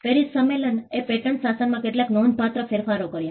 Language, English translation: Gujarati, The PARIS convention created certain substantive changes in the patent regime